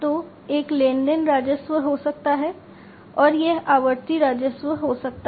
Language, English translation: Hindi, So, one could be the transaction revenues, and this could be the recurring revenues